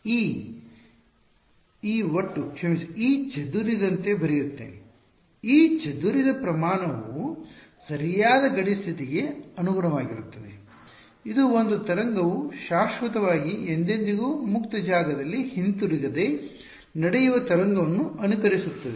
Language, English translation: Kannada, Let me write it as this E total sorry E scattered; E scattered is proportional to this is the correct boundary condition, this is what simulates a wave not coming back going on forever free space